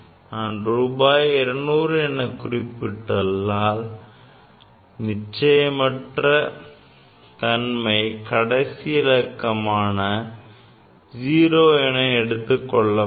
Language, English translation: Tamil, If I write 200 simply then this is telling that the uncertainty is in the last digit here that is 0